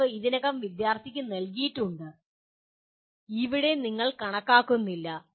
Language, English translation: Malayalam, Proof is already given to the student and here you are not calculating